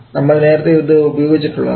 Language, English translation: Malayalam, So we have use this on earlier